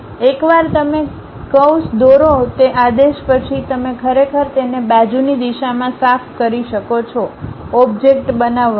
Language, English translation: Gujarati, Using that command once you draw a curve you can really sweep it in lateral direction to make the object